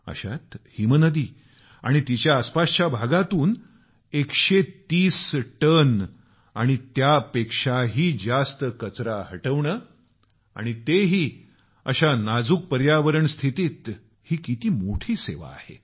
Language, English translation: Marathi, In this scenario, to remove 130 tons and more of garbage from the glacier and its surrounding area's fragile ecosystem is a great service